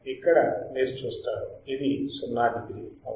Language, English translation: Telugu, Here you see this is like 0 degree right